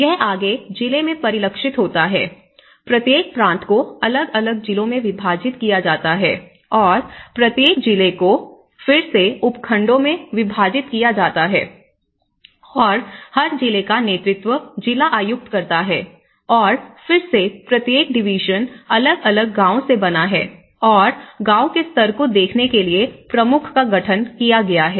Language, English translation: Hindi, And then, it further is reflected in the district, each province is divided into different districts, so that is where we have and each district is headed by the district commissioner and whereas, each district is again divided into subdivisions and that is where the district officer has been heading the division and again each division is composed of different villages and the chief has been constituted to look at the village level